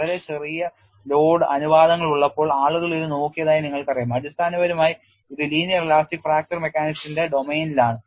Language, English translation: Malayalam, You know people had looked at when you have very small load ratios; essentially it is in the domain of linear elastic fracture mechanics